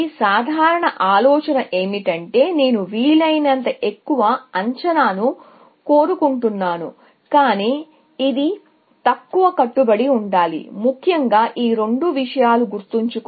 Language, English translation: Telugu, So, the general idea is that I want as high an estimate as possible, but it is should be a lower bound, essentially; these two things, remember